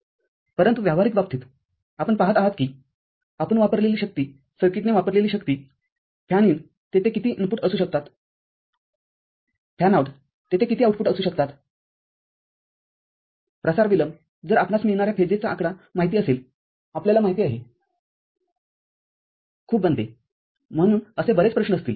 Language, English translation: Marathi, But, in practical cases you see, that amount of power you consume, amount of power the circuit consumes, the fan in how many input can be there, fanout how many output can be there, propagation delays if number of phases get you know, becomes very much, so many such issues would be there